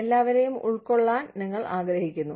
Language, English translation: Malayalam, You want to accommodate everybody